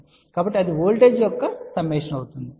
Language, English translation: Telugu, So, that will be the summation of the voltage